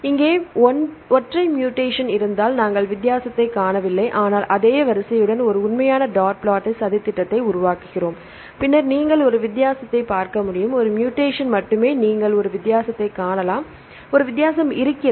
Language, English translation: Tamil, If there are single mutation right here we do not find the difference, but we make a real dot plot with the same sequence, then you can see the difference you only a mutation you can see a difference right there is a difference